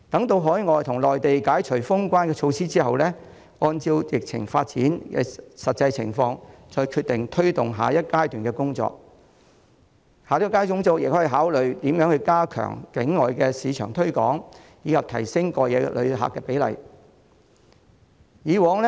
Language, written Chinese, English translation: Cantonese, 待海外及內地解除封關措施後，旅發局可按疫情發展的實際情況再決定如何推動下一階段的工作，包括考慮加強境外市場推廣，以及提升過夜旅客的比例。, After border closure is lifted overseas and on the Mainland HKTB may further decide how to proceed to the next stage of work having regard to the actual development of the epidemic including considering stepping up overseas marketing efforts and raising the proportion of overnight visitors . In the past HKTB used to allocate most of its resources to advertising and publicity